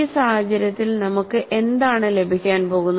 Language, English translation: Malayalam, And in this case what we you are going to get